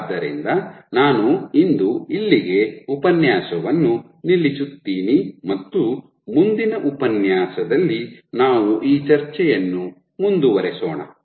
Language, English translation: Kannada, So, I will stop here for today and we will continue this discussion in the next lecture